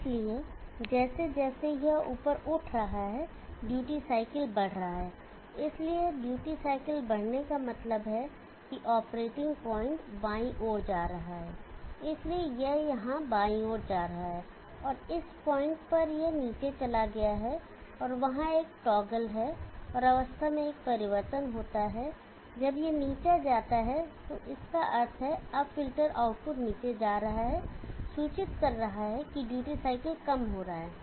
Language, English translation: Hindi, So as it is rising up the duty cycle is increasing, so duty cycle is increasing means that the operating point is moving to the left, so it is moving to the left here and at this point this has gone down and there is a toggle and there is a change in the state when this goes down which means now the filter output is going down implying the duty cycle is decreasing